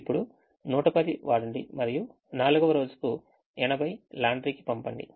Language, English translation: Telugu, now use hundred and ten and send eighty to the laundry